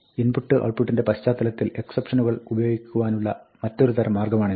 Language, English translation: Malayalam, This is another kind of idiomatic way to use exceptions, in the context of input and output